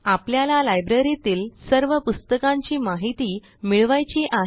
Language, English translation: Marathi, And that is: Get information about all books in the library